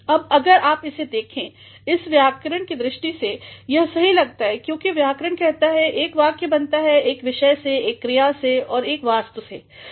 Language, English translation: Hindi, ’ Now, if you have a look at it, it appears to be grammatically correct because grammar says that a sentence is made of a subject of a verb and also of an object